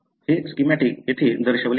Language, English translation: Marathi, This is what shown here in this schematic